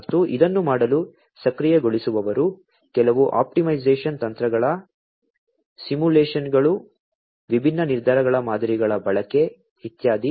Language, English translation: Kannada, And the enablers for doing it, are some optimization techniques simulations, use of different decision models, and so on